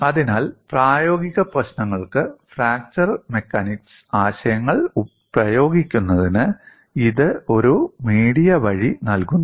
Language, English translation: Malayalam, So, it provides a via media to apply fracture mechanics concepts to practical problems